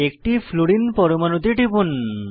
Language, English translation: Bengali, Click on one Fluorine atom